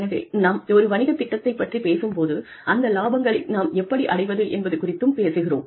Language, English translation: Tamil, So, when we talk about a business plan, we are talking about, how we can achieve those profits